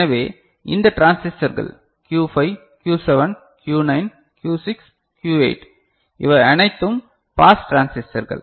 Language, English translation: Tamil, So, these transistors Q5, Q7, Q9, Q6, Q8 ok, all these are pass transistors ok